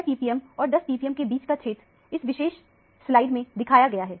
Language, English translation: Hindi, That is why the region between 6 ppm and 10 ppm alone is projected in this particular slide